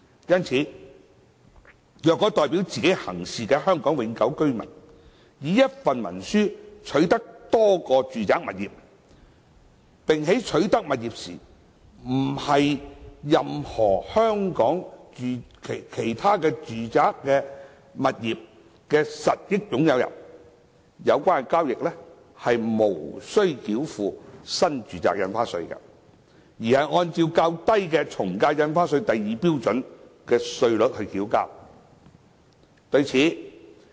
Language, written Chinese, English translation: Cantonese, 因此，若代表自己行事的香港永久性居民以一份文書取得多個住宅物業，並在取得物業時不是任何其他香港住宅物業的實益擁有人，有關交易無須繳付新住宅印花稅，而是按較低的從價印花稅第2標準稅率繳稅。, Therefore acquisition of multiple residential properties under a single instrument by a HKPR acting on hisher own behalf and is not a beneficial owner of any other residential property in Hong Kong at the time of acquisition will be exempted from the NRSD rate of 15 % and will only be subject to the lower AVD rates at Scale 2